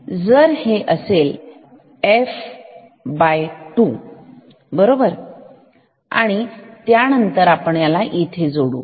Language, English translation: Marathi, If, this is f this is f by 2 right and then we connected this here